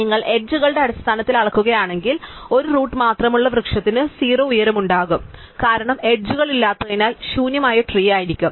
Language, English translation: Malayalam, If you measured in terms of edges, the tree with only a root will have height 0, because there are no edges and so would be the empty tree